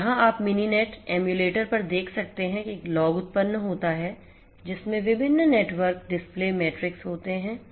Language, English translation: Hindi, So, here you can see at the Mininet emulator a log is generated which contains the different network performance matrix